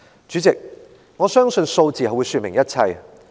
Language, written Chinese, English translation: Cantonese, 主席，我相信數字會說明一切。, President I believe that numbers can explain everything